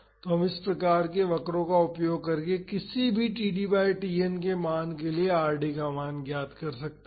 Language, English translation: Hindi, So, we can find out the value of Rd for any td by Tn value using this type of curves